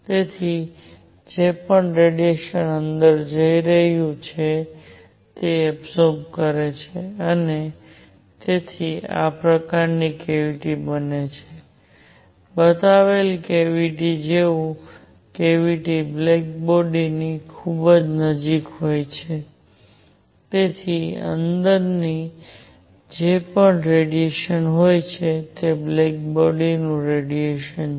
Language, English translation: Gujarati, So, whatever radiation is going in, it gets absorbed and therefore, a cavity like this; a cavity like the one shown is very very close to a black body whatever radiation is inside it, it is black body radiation